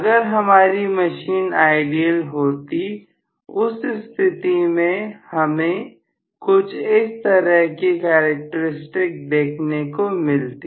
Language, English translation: Hindi, If the machine had been ideal, I would have had the characteristic somewhat like this